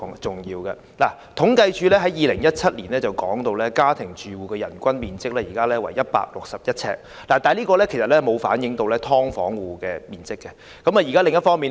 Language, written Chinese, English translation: Cantonese, 政府統計處在2017年公布，香港家庭住戶的人均居住面積為161平方呎，但這個數字並未計算"劏房"住戶的居住面積。, According to the figures announced by the Census and Statistics Department in 2017 the per capita floor area of accommodation of all domestic households in Hong Kong was 161 sq ft . This figure however had not taken into account the area of accommodation of households living in subdivided units